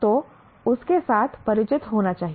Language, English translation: Hindi, So one should be familiar with that